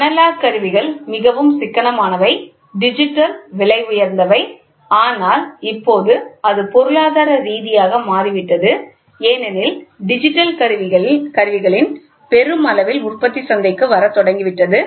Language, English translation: Tamil, Analog instruments are very economical, digital are expensive, but now it has also become economical because lot of mass production of digital equipment have started coming in to the market